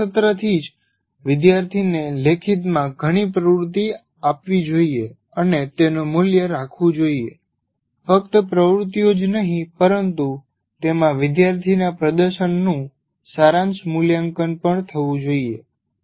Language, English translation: Gujarati, And right from the first semester, the student should be given several exercises in writing and value them, just not giving the exercises, but there should be, there should be a summative assessment of the performance of the student in that